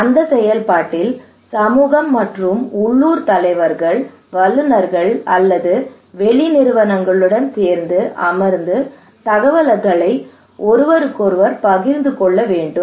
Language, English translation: Tamil, In that process, the community and the local leaders along plus the experts or the external agencies they should sit together, they should share informations with each other